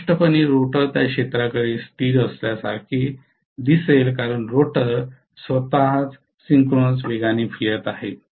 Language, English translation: Marathi, So obviously the rotor will look at that field as though it is stationary because the rotor itself is rotating at synchronous speed